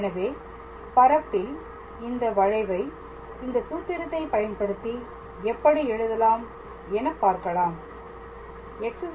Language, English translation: Tamil, So, how do we write this curve in space using this formula